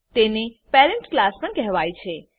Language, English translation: Gujarati, It is also called as parent class